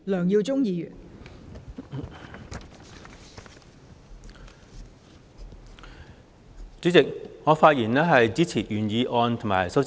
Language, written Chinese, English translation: Cantonese, 代理主席，我發言支持原議案及修正案。, Deputy President I speak in support of the original motion and the amendment